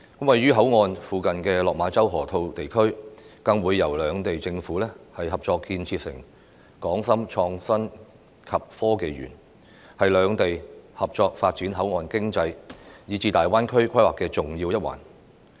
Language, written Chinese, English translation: Cantonese, 位於口岸附近的落馬洲河套地區，更會由兩地政府合作建設成港深創新及科技園，是兩地合作發展口岸經濟，以至大灣區規劃的重要一環。, The Hong Kong - Shenzhen Innovation and Technology Park to be jointly developed on the Lok Ma Chau Loop located near the boundary crossings by the governments of the two places will be an important part of their joint development of port economy and the planning of GBA